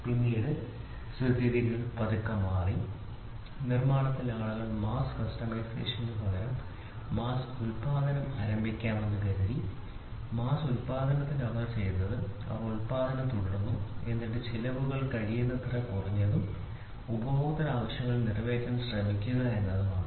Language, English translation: Malayalam, Then the scenario slowly changed that the change in scenario was in manufacturing people thought of let us start making mass production rather than mass customization, in mass production what they did was they said let us keep on producing and then let us make the cost come as low as possible and try to cater up to the customer need